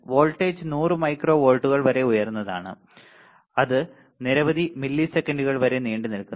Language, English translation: Malayalam, And the voltage is as high as 100 microvolts lasts for several milliseconds